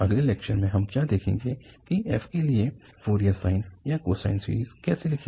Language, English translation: Hindi, In the next lecture, what we will see now again how to write Fourier sine or cosine series for f